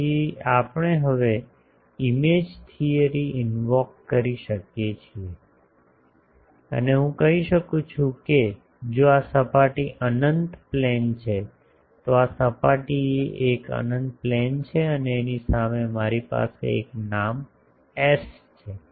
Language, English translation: Gujarati, So, now we can invoke image theory so I can say that if this surface is an infinite plane, the surface is an infinite plane and in front that I have a name S